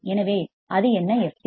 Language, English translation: Tamil, So, what is that f c